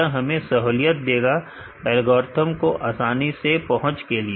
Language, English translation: Hindi, So, which facilitate us to access the algorithms easily